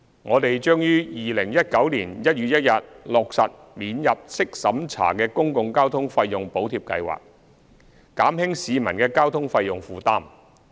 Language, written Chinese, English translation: Cantonese, 我們將於2019年1月1日落實免入息審查的公共交通費用補貼計劃，減輕市民的交通費用負擔。, We will implement the non - means - tested Public Transport Fare Subsidy Scheme the Scheme on 1 January 2019 to relieve the fare burden of commuters